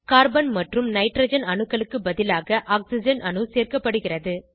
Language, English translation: Tamil, Carbon and Hydrogen atoms will be replaced by Oxygen atom